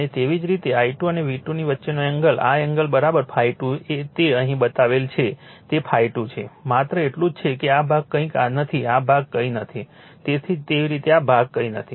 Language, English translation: Gujarati, And similarly angle between I 2 and V 2 this angle is equal to phi 2 it is shown here it is phi 2, right only thing is that this this this portion is nothingthis portion is nothing but, similarly this portion is nothing, right